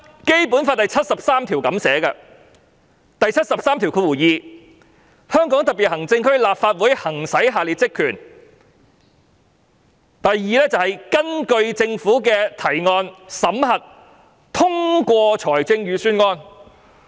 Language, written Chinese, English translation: Cantonese, 《基本法》第七十三條列明，"香港特別行政區立法會行使下列職權︰二根據政府的提案，審核、通過財政預算"。, Article 732 of the Basic Law stipulates that The Legislative Council of the Hong Kong Special Administrative Region shall exercise the following powers and functions 2 To examine and approve budgets introduced by the government